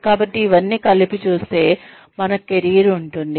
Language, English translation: Telugu, So, all of this, put together, constitutes our career